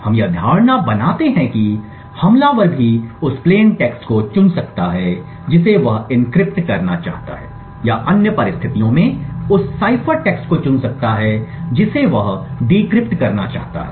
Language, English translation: Hindi, Stronger assumptions are also done where we make the assumption that the attacker also can choose the plain text that he wants to encrypt or in other circumstances choose the cipher text that he wants to decrypt